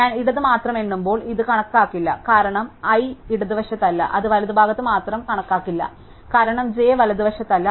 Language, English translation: Malayalam, This would not be counted when I count only the left, because i is not in the left, it will not be count only in the right, because j is not in the right